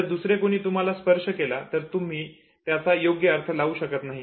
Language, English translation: Marathi, Whereas if somebody else touches you you are not able to provide the correct meaning to it